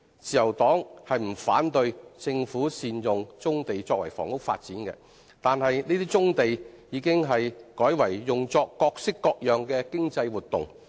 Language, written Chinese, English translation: Cantonese, 自由黨不反對政府善用棕地作房屋發展，但有些棕地已改為用作各式各樣的經濟活動。, The Liberal Party is not opposed to the Governments plan to optimize the use of brownfield sites for housing development . But then some brownfield sites have already been used for various kinds of economic activities instead